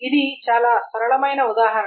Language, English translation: Telugu, That's a very simple example